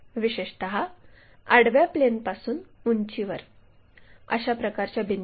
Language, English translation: Marathi, Especially, height above horizontal plane for such kind of points